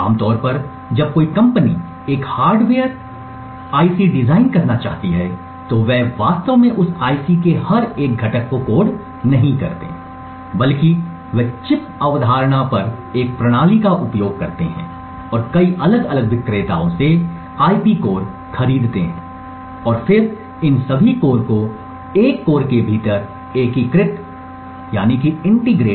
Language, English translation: Hindi, Typically when a company wants to design a hardware IC, they do not actually code every single component of that IC, but rather they would use a system on chip concept and purchase IP cores from several different vendors and then integrate all of these cores within a single chip